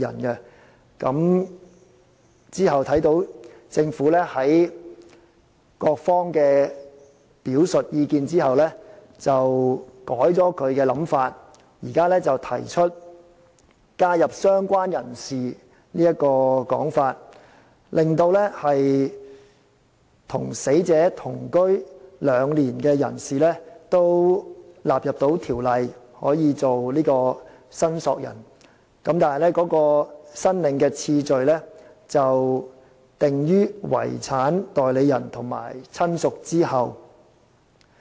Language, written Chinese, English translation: Cantonese, 其後，在各方表述意見之後，政府改變其想法，提出加入"相關人士"這做法，令與死者同居兩年的人士可以成為申索人，但其申領次序則置於"遺產代理人"及"親屬"之後。, Subsequently after various parties had made their representations the Government changed its mind and proposed the addition of related person so that a person who had lived with the deceased for two years can become a claimant but with a lower priority of claim than personal representative and relative